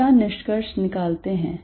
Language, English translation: Hindi, What do we conclude